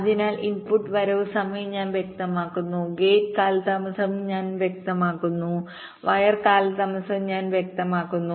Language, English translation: Malayalam, so i specify the input arrival times, i specify the gate delays, i specify the wire delays